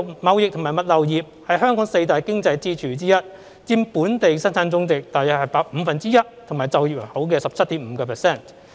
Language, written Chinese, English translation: Cantonese, 貿易及物流業是香港四大經濟支柱之一，佔本地生產總值約五分之一和就業人口的 17.5%。, The trading and logistics industry is one of Hong Kongs four key economic pillars with its economic contribution accounting for about one - fifth of the Gross Domestic Product and 17.5 % of the working population